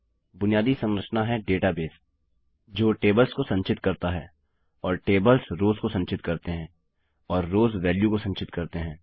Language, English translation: Hindi, A basic structure is a database which stores tables and tables store rows and rows store values